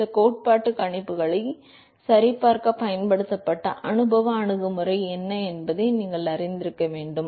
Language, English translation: Tamil, Although you must know what the empirical approach that was used in order to verify some of the theoretical predictions